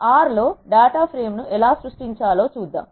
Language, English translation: Telugu, Let us see how to create a data frame in R